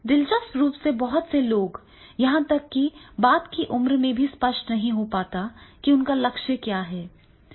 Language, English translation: Hindi, And interestingly many people, even in the later age also, they are not very clear what is their goal